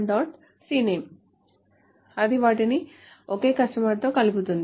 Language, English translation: Telugu, It connects them with the same customer